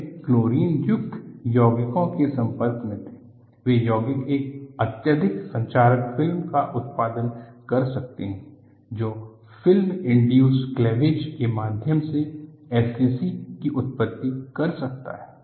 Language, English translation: Hindi, So, they were exposed to chlorine containing compounds; these compounds can produce a highly corrosive film, which can lead to SCC through film induced cleavage